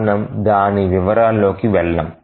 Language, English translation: Telugu, We will not go into details of that